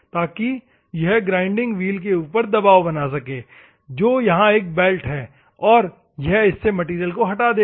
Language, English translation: Hindi, So, that it, press against the grinding wheel which is a belt here and it will remove the material